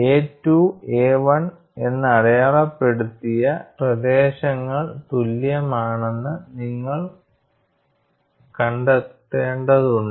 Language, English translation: Malayalam, And you will have to find out the areas marked as A 2 and A 1 such that, they are equal